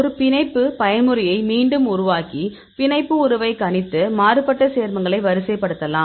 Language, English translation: Tamil, So, you get reproduce a binding mode and predict the binding affinity and rank the diverse compounds